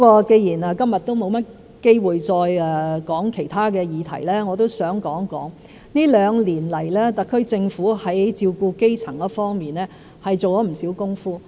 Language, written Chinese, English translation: Cantonese, 既然今天沒有機會再說其他議題，我也想談談這兩年來，特區政府在照顧基層市民方面做了不少工夫。, Since there is no chance for me to talk about other issues today I would like to talk about the various efforts made by the SAR Government in taking care of the grass roots over the past two years